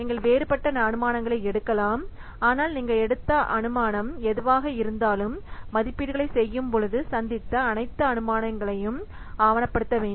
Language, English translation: Tamil, You may take different assumptions, but whatever assumptions you have taken, so you have to document all the assumptions made when making the estimates